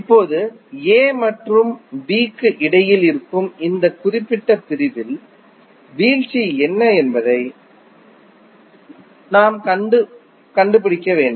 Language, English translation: Tamil, Now, we have to see what isthe drop in this particular segment that is between A and B